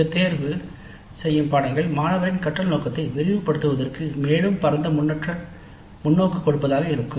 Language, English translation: Tamil, These electives are normally more to broaden the scope of the learning by the student to give wider perspective